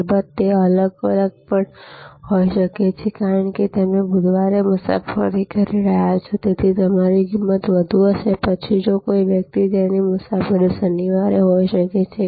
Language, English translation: Gujarati, Of course, it can also be different, because you are travelling on Wednesday and therefore, your price will be higher, then somebody whose travelling may be on Saturday